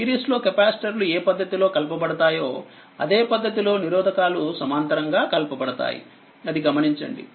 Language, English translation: Telugu, So, note that capacitors in parallel combining the same manner as resistor in series